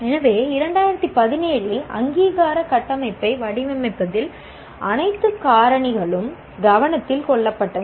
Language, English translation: Tamil, So, all factors were taken into consideration in designing the accreditation framework in 2017